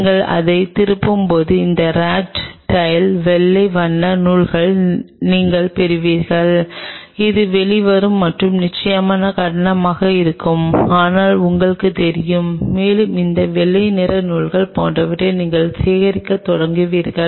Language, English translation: Tamil, As you will twist it you will realize from the RAT tail you will get this white color threads, which will be coming out and that reasonably thick, but you know and you start collecting those threads something like this white color threads